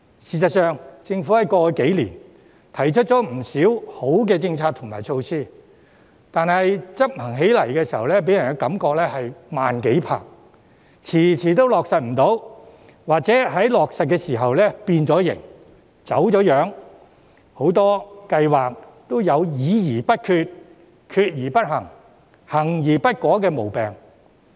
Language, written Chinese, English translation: Cantonese, 事實上，政府過去數年提出了不少良好的政策和措施，但在執行方面卻給人"慢幾拍"的感覺，遲遲未能落實或在落實時已經"變形"、"走樣"，很多計劃也有"議而不決、決而不行、行而不果"的毛病。, The Government did propose many commendable policies and measures in the past few years but people still have an impression that it was slow in implementation or the policies and measures had been deformed and distorted in the course of implementation . Worse still many projects have the problem of deliberation without decision; decision without action; and action without effect